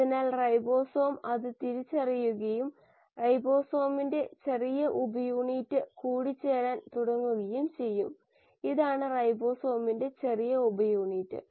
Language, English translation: Malayalam, So the ribosome will recognise this and the small subunit of ribosome will then start assembling, this is the small subunit of ribosome